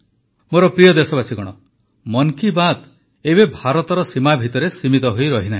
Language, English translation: Odia, 'Mann Ki Baat' is no longer confined to the borders of India